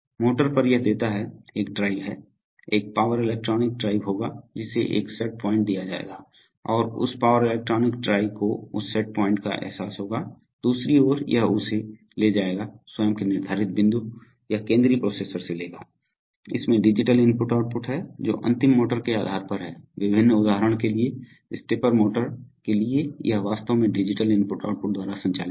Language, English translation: Hindi, On the motor, so it gives the, there is a drive, there is, there will be a power electronic drive which will be given a set point and that power electronic drive will realize that set point, on the other hand it will take its own set point, it will take from the central processor, it has, it has digital i/o depending on what is the final motor, various, for example for a, for stepper motor it is actually driven by digital i/o